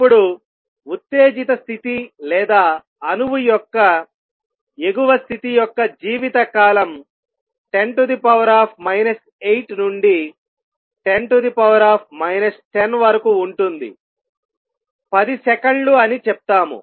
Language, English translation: Telugu, Now life time of an exited state or the upper state of an atom is of the order of 10 raise to minus 8 to 10 raise to minus let say 10 seconds